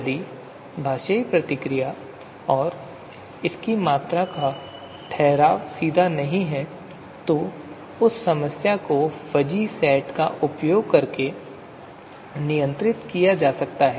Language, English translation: Hindi, So you know, the linguistic response and its you know quantification is not straightforward then that problem can be handled using fuzzy sets